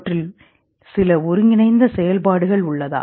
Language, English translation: Tamil, Do they have some combined functions